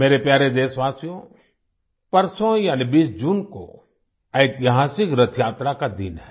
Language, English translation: Hindi, the 20th of June is the day of the historical Rath Yatra